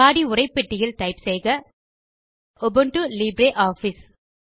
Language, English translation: Tamil, In the Body text box type:Ubuntu Libre Office